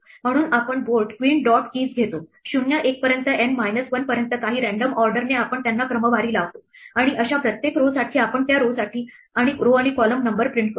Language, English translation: Marathi, So, we take board dot queen dot keys will give us 0 1 upto N minus 1 in some random order we sort them and for each such row we print the row and the column number for that row